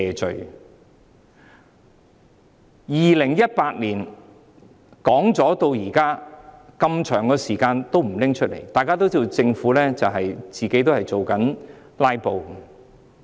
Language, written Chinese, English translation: Cantonese, 自2018年公布至今，這麼長時間都不再提出，大家都知道，政府自己也在"拉布"。, Since the announcement of the proposal in 2018 it was not introduced for such a long time until now . People all know that the Government is filibustering itself